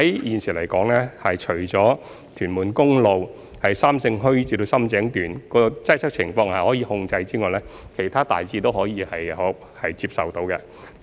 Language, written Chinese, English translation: Cantonese, 現時，屯門公路由三聖墟至深井一段的擠塞情況已在可控的範圍內，而其他路段的情況亦大致可以接受。, At present traffic congestion in the road section between Sam Shing Hui and Sham Tseng on Tuen Mun Road is within control and the condition of other road sections is generally acceptable